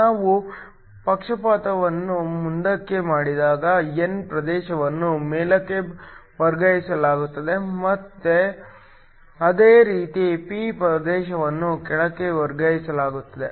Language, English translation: Kannada, When we forward bias the n region is shifted up and similarly the p region is shifted down